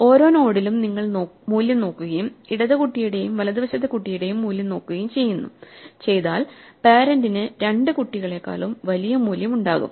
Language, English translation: Malayalam, So, at every node if you look at the value and we look at the value in the left child and the right child then the parent will have a larger value than the both the children